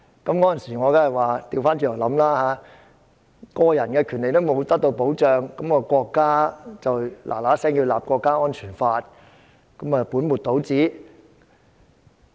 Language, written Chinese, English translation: Cantonese, 那時我倒過來想，個人權利並未得到保障，國家便要馬上制定《中華人民共和國國家安全法》，豈不是本末倒置？, When the country immediately has the National Security Law of the Peoples Republic of China enacted before individual rights are properly protected is it tantamount to placing the cart before the horse?